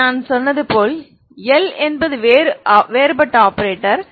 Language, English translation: Tamil, This is like if you see L is I said L is operator differential operator